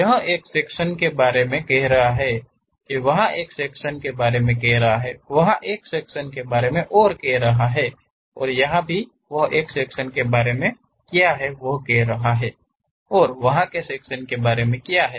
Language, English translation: Hindi, What about the section here, what about the section there, what about the section there, what about the section there and what about the section there